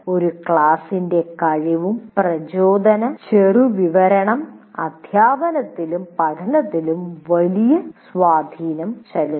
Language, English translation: Malayalam, So the ability and motivation profile of a class will have great influence on teaching and learning